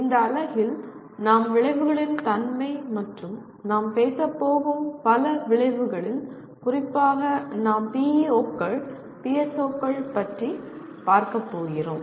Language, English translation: Tamil, In this unit we are going to look at the nature of outcomes and out of the several outcomes we talk about, we are particularly looking at what we call PEOs and PSOs